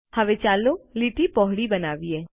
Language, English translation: Gujarati, Now, lets make the line wider